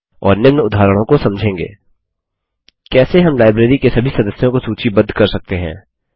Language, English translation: Hindi, And we will consider the following case: How can we list all the members of the library